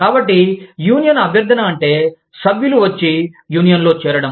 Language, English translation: Telugu, So, union solicitation means, getting members to come and join the union